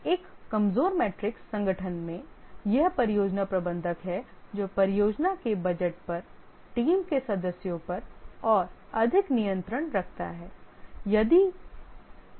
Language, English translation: Hindi, In a weak matrix organization, it is the project manager who has more control over the project budget, over the team members, and so on